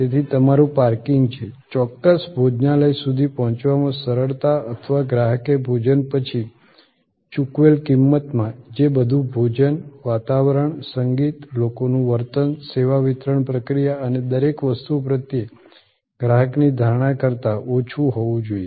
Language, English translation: Gujarati, So, your parking is, ease of reaching the particular restaurant or in the price that the customer has paid after the meal all that must be less than the customer perception of the food, the ambiance, the music, the behavior of people everything and the service delivery process